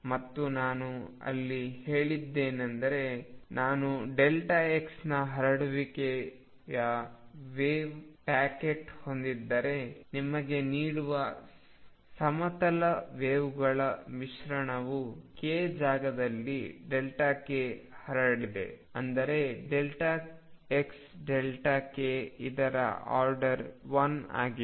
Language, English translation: Kannada, And what I had said there that if I have a wave packet which has a spread of delta x, the corresponding mixture of plane waves that gives you this has delta k spread in k space such that delta x delta k is of the order of one